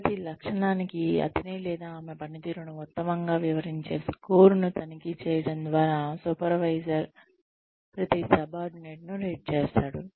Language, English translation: Telugu, Supervisor rates each subordinate, by circling or checking the score, that best describes his or her performance, for each trait